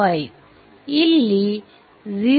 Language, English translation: Kannada, 5 v 2 upon 0